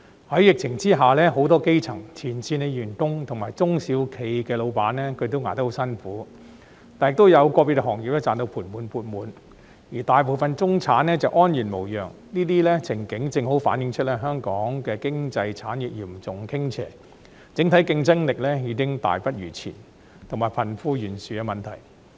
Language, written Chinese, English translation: Cantonese, 在疫情下，很多基層、前線員工及中小企的老闆都捱得很辛苦，但亦有個別行業賺到盤滿缽滿，而大部分中產則安然無恙，這些情景正好反映香港經濟產業嚴重傾斜、整體競爭力已經大不如前，還有貧富懸殊的問題。, Under the epidemic while many grass roots frontline workers and SME owners have had a very hard time some individual industries are making handsome gains and most middle - class people are safe and sound . This scenario precisely reflects the seriously lopsided development of Hong Kongs economic industries the significant deterioration of its overall competitiveness and the problem of disparity between the rich and the poor